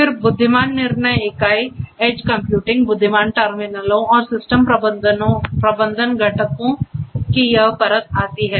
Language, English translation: Hindi, Then comes this layer of intelligent decision unit and edge computing, and the intelligent terminals, and system management components